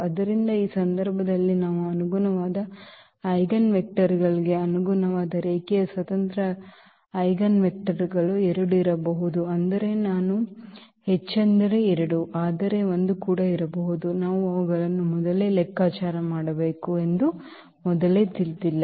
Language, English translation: Kannada, So, in this case we have the possibility that the corresponding eigenvectors the corresponding linearly independent eigenvectors there may be 2, I mean at most 2, but there may be 1 as well, we do not know now in advance we have to compute them